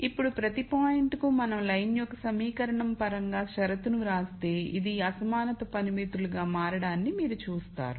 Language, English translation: Telugu, So, now, notice that for each point if we were to write the condition in terms of the equation of the line and then you would see that these become inequality constraints